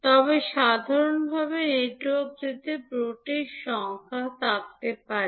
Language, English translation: Bengali, But in general, the network can have n number of ports